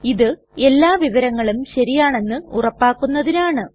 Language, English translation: Malayalam, This is to confirm that all the information is correct